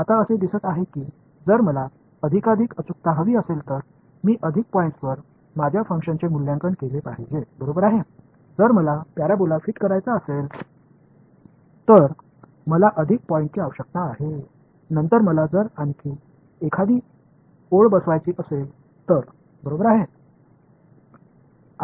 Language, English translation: Marathi, Now, it seems that if I want more and more accuracy then I should evaluate my function at more points right; for the if I want to fit a parabola I need more points then if I want to fit a line right